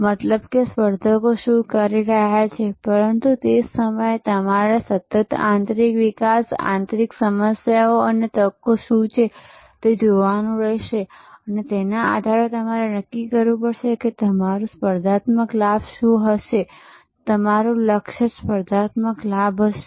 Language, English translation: Gujarati, So, outside means what the competitors are doing, but at the same time you have to constantly look at what are the internal developments, internal problems and opportunities that are evolving and based on that you have to determine that what will be your competitive advantage, what competitive advantage you will target